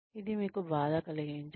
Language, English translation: Telugu, It does not hurt you